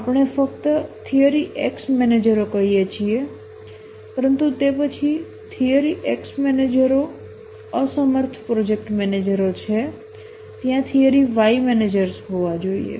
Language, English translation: Gujarati, We're just saying the theory X managers, but then the theory X managers are incompetent project managers